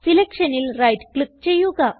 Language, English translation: Malayalam, Now, right click on the selection